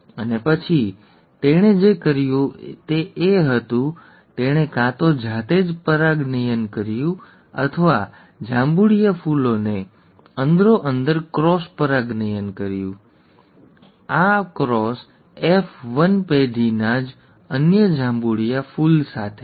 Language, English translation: Gujarati, And then what he did was, he either self pollinated or cross pollinated the purple flowers amongst themselves, okay, this cross with another purple flower of the F1 generation itself